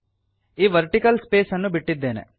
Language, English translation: Kannada, So I have left this vertical space